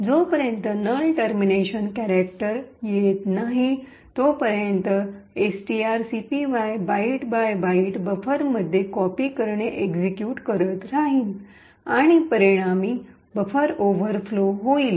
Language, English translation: Marathi, So as long as there is no null termination character STR copy will continue to execute copying the byte by byte into buffer and resulting in a buffer overflow